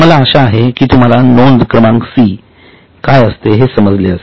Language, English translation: Marathi, I hope you are getting what is item number C